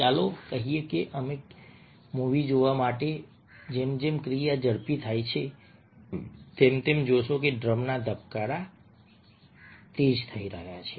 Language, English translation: Gujarati, let say that we, for watching a movie, as a, the action quickens, you find that the drum beats are quickening